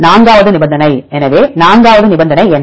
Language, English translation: Tamil, Fourth condition, so what is the fourth condition